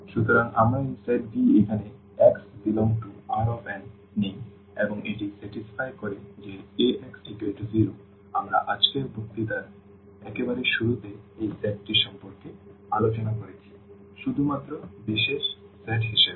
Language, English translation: Bengali, So, we take this set V here x belongs to this R n and it satisfy this Ax is equal to 0; we have discussed at the very beginning of today’s lecture about this set that the special set only